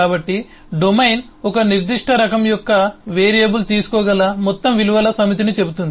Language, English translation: Telugu, so domain say the whole set of values that a variable of a certain type can take